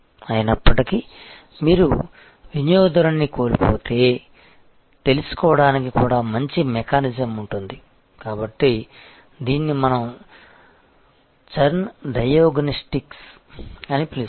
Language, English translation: Telugu, And in spite of that if you lose the customer then also have a good mechanism to find out, so this is what we call churn diagnostics